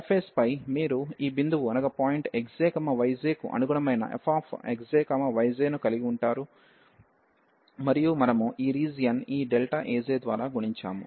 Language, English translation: Telugu, So, on the surface you will have this point there f x j, y j corresponding to this point x j, y j and we have multiplied by this area, this delta A j